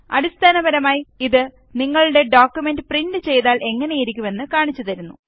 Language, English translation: Malayalam, It basically shows how your document will look like when it is printed